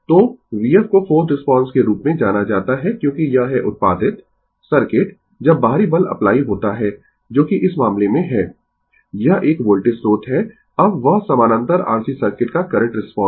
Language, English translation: Hindi, So, v f is known as the forced response because it is produced by the circuit when the external force is applied that is in this case, it is a voltage source, right now, that current response of parallel RC circuit